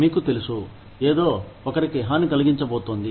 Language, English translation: Telugu, You know, something is going to harm, somebody